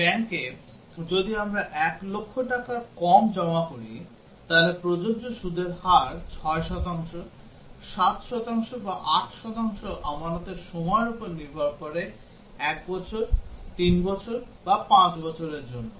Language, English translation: Bengali, In a bank, if we deposit less than 1 lakh rupees as the principle, then the rate of interest is applicable is 6 percent, 7 percent, or 8 percent depending on the deposit is for 1 year, 3 year, or 5 years